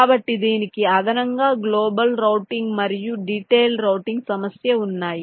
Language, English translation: Telugu, so, addition to this, there are global routing and detailed routing problem